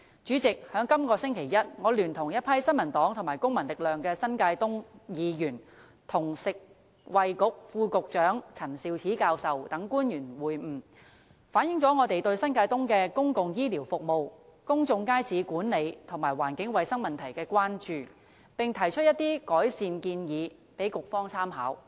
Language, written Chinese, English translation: Cantonese, 主席，在這個星期一，我聯同一群新民黨和公民力量的新界東區議員，與食物及衞生局副局長陳肇始教授等官員會晤，反映了我們對新界東的公共醫療服務、公眾街市管理及環境衞生問題的關注，並提出一些改善建議供局方參考。, President together with a group of New Territories East District Council members from the New Peoples Party and the Civil Force I met with Prof Sophia CHAN the Under Secretary for Food and Health and other government officials this Monday . We raised concerns over issues in the New Territories East including public health care services management of public markets and environmental hygiene problems as well as several suggestions for improvement with the Bureau